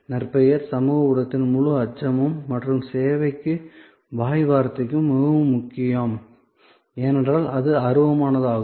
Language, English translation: Tamil, Reputation, the whole aspect of social media and word of mouth, very important for service, because it is intangible